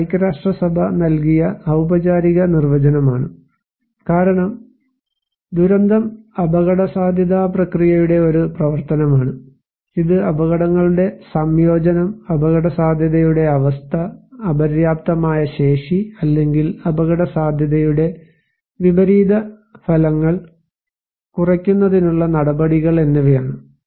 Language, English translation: Malayalam, And it is a formal definition given by United Nations, ISDR as disaster is a function of the risk process, it results from the combination of hazards, condition of vulnerability and insufficient capacity or measures to reduce the potential negative consequence of risk